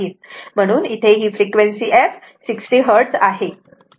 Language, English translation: Marathi, So, frequency f is your 60 hertz right